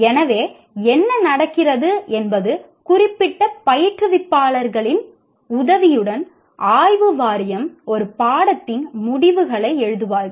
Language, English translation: Tamil, So what happens is either the Board of Studies along with the help of the particular instructors, they will write the outcomes of a course